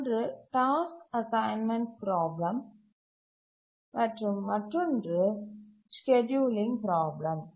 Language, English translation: Tamil, One is task assignment problem, the other is the scheduling problem